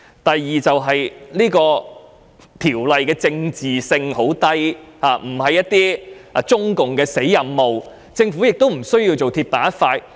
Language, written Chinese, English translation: Cantonese, 第二，《條例草案》的政治性很低，並非中共的"死任務"，所以政府不必鐵板一塊。, Secondly given that the Bill is not political at all nor is it a non - negotiable task assigned by the Communist Party of China there is no need for the Government to be so rigid